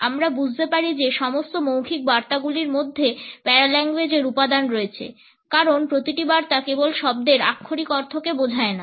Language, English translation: Bengali, We can understand that all oral messages have paralinguistic component because every message communicates not only the meaning associated with the literal understanding of the words